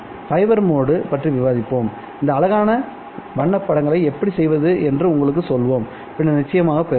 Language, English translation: Tamil, We will discuss fiber modes and tell you how to obtain this beautiful colored pictures later in the course